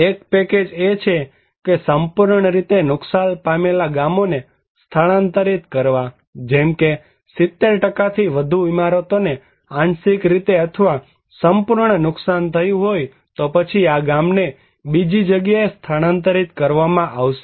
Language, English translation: Gujarati, One; package one is that relocation of completely damaged villages like, if there was a damage of more than 70% buildings are affected partially damaged or fully damaged, then this village will be relocated to other place